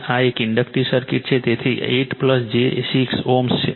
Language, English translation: Gujarati, This is an inductive circuit, so 8 plus j 6 ohm